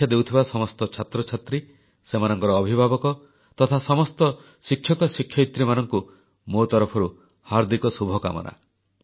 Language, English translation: Odia, My best wishes to all the students who're going to appear for their examinations, their parents and all the teachers as well